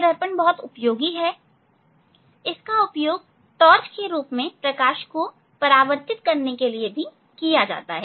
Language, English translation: Hindi, this mirror is useful where, so it is used as a torch to reflect light